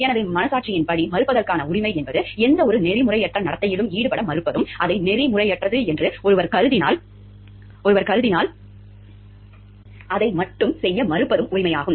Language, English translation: Tamil, So, the right of conscientious refusal is the right to refuse to engage in any unethical behavior and to refuse to do so solely, because one views it to be unethical